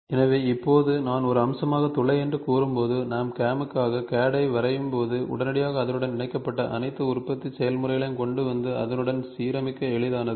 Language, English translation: Tamil, So, now when I say hole as a feature, so, now immediately when I draw the CAD for the CAM it is easy for bringing in all the manufacturing processes attached to it and align to it ok